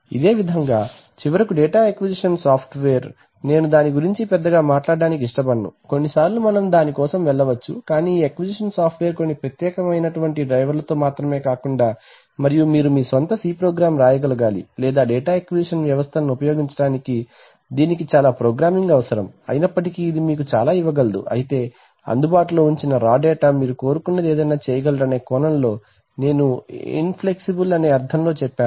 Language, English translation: Telugu, So similarly, finally is a data acquisition software, I do not want to talk much about it only thing is that sometimes you can either go for you cannot this acquisition software will only come up with some certain drivers and then you can write your own C or basic programs to use the data acquisition systems, but that requires a lot of programming although it can give you a lot of I mean inflexibility in the sense that you can do anything you want with the data the raw data is made available